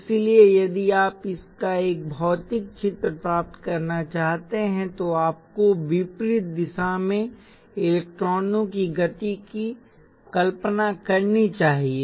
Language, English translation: Hindi, So you should if you want to get a physical picture of this, you should imagine electrons moving in the opposite direction